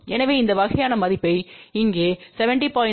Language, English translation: Tamil, So, if you use this kind of a value here 70